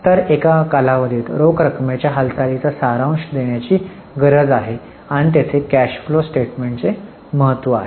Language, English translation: Marathi, So, there is a need to give a summary of movement of cash in a period and there comes the importance of cash flow statement